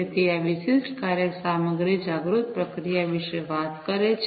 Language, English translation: Gujarati, So, this particular work talks about content aware processing